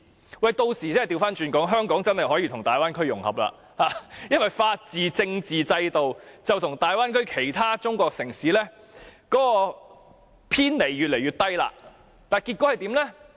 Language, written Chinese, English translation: Cantonese, 他們屆時真的可以反過來說，香港可以跟大灣區融合，因為香港的法治和政治制度跟大灣區內其他中國城市相差越來越少。, By that time they can really put things the other way round and say that Hong Kong can integrate with the Bay Area because of the decreasing difference in the legal and political systems of Hong Kong and other Chinese cities in the Bay Area